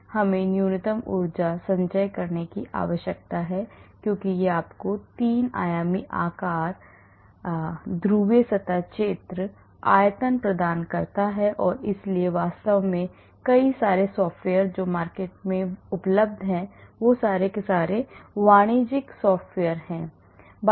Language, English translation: Hindi, So, we need to have the minimum energy conformation because that gives you the three dimensional shapes, size, the polar surface area, the volume and so on actually there are many softwares, commercial software is available in the market